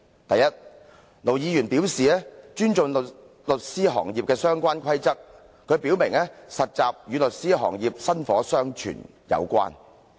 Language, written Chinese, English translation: Cantonese, 第一，盧議員表示尊重律師行業的相關規則，並說實習律師與律師行業薪火相傳有關。, First Ir Dr LO expressed his respect for the rules of the legal profession and he said that trainee lawyers would pass on the torch in the legal profession